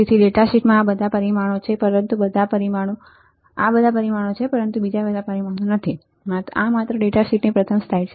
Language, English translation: Gujarati, So, these are all the parameters in that data sheet, but not all the parameters this is just first slide of the data sheet